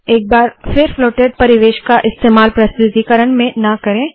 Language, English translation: Hindi, Once again do not use floated environments in presentations